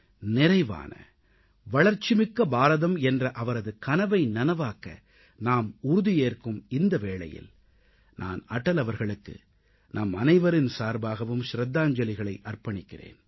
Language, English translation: Tamil, Reiterating our resolve to fulfill his dream of a prosperous and developed India, I along with all of you pay tributes to Atalji